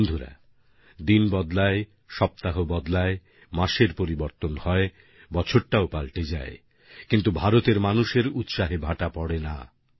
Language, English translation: Bengali, Friends, every day is a new day; weeks and months keep seeing change; years witness transformation, except for the enthusiasm and fervor of the people of India